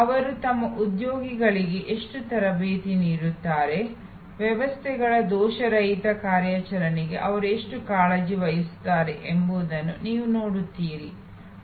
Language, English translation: Kannada, You will see how much training they put in to their employees, how much care they take for the flawless operation of the systems